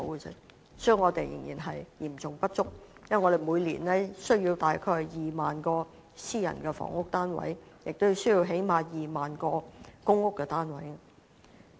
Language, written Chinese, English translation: Cantonese, 因此，供應仍然會是嚴重不足的，因為我們每年是需要約2萬個私人住宅單位及最低限度2萬個公屋單位。, For that reason there will still be a serious shortage of housing supply because each year we need to build 20 000 private residential units and at least 20 000 public rental housing PRH units